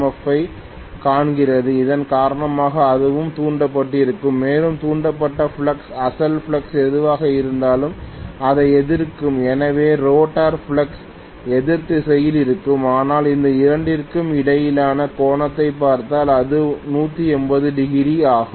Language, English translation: Tamil, Now, as far as the rotor is concerned, the rotor is saying is seeing this pulsating MMF because of which this will also have induced and that induced flux will be opposing whatever is the original flux, so we will have the rotor flux in the opposite direction, but if you look at the angle between these two, it is 180 degrees